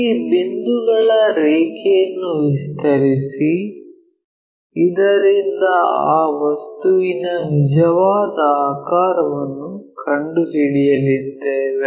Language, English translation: Kannada, Extend these points line so that we are going to locate that true shape of that object